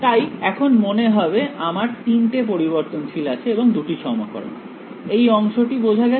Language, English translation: Bengali, So, it seems like, now I have three variables two equations this part clear